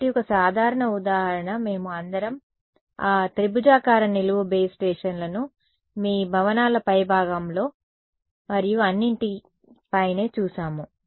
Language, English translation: Telugu, So, just a typical example, we have all seen those triangular vertical base stations right on your tops of buildings and all